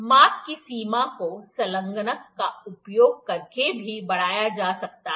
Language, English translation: Hindi, The range of the measure can also be extended by using attachments